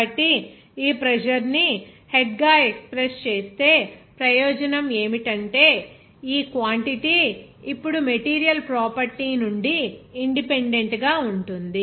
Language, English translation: Telugu, So, the advantage of expressing this pressure as a head is that this quantity is now independent of the material property